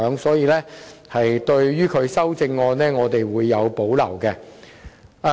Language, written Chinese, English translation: Cantonese, 所以，對於邵議員的修正案，我們是有所保留的。, For this reason we have reservations about Mr SHIUs amendment